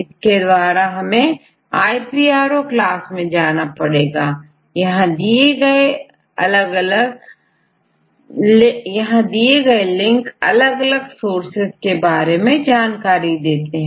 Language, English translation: Hindi, So, you go the iPro class and they link with the different other resources